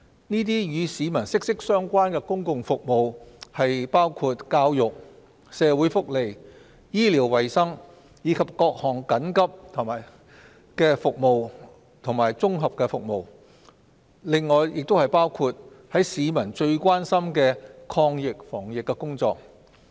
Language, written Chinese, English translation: Cantonese, 這些與市民息息相關的公共服務包括教育、社會福利、醫療衞生，以及各項緊急服務及綜合服務；此外，亦包括市民最關心的抗疫防疫工作。, These public services which are highly relevant to the public including education social welfare medical and health care as well as all sorts of emergency and integrated services . In addition the anti - epidemic initiatives are also included